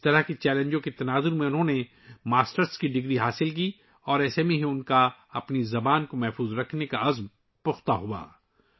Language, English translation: Urdu, Amidst such challenges, he obtained a Masters degree and it was only then that his resolve to preserve his language became stronger